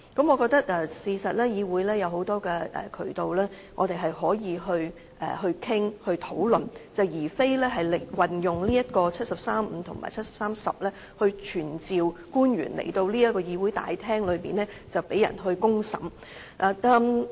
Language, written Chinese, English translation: Cantonese, 我認為議會其實也有很多渠道讓我們討論，而非引用《基本法》第七十三條第五項及第七十三條第十項來傳召官員到這個議會大廳被人"公審"。, Actually instead of summoning officials to attend before the Council by invoking Articles 735 and 7310 of the Basic Law which is tantamount to putting them on a public trial I consider that there are many channels for us to conduct the discussions